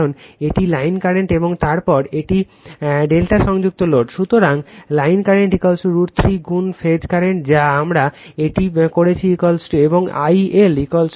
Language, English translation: Bengali, Because, it is line current and then it is delta connected load, So, line current is equal to root 3 times phase current that we have done it and I L is equal to root 3 into I p right